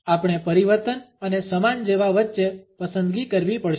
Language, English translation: Gujarati, We have to choose between change and more of the same